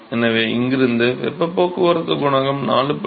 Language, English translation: Tamil, So, from in here, I can find out what is the heat transport coefficient 4